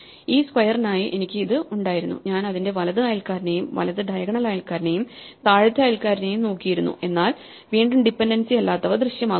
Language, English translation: Malayalam, So, I had for this square, I had looked at its right neighbor, right diagonal neighbor and the bottom neighbor, but once again the ones which have no dependency appear